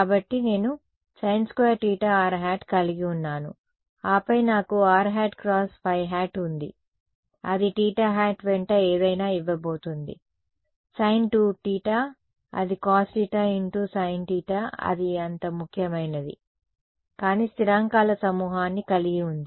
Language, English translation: Telugu, So, I am going to have sin squared theta r hat and then I have a r cross 5 which is going to give me something along theta sin 2 theta it was cos theta into sin theta along theta hat and a bunch of constants which are not so important